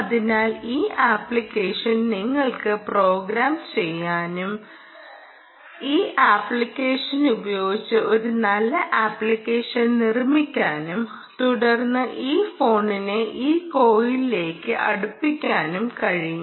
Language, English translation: Malayalam, so this app, actually, you can program, hm, you know, build a nice application with this app and then get this phone closer to this coil